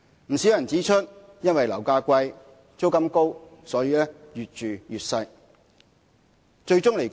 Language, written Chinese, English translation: Cantonese, 不少人指出，因為樓價貴、租金高，所以越住越小。, Many people point out that owing to high property prices and rents people can only afford to live in smaller housing units